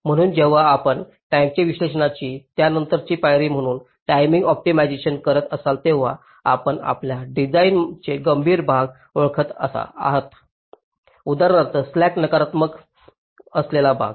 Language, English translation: Marathi, so when you are doing timing optimization as a subsequent step to timing analyzes, you are identifying the critical portions of your design, like, for example, the portions where the slacks are negative